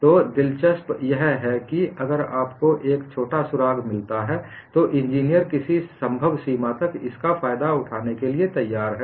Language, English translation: Hindi, So, what is interesting is, if you find any small clue, engineers are ready to exploit it to the extent possible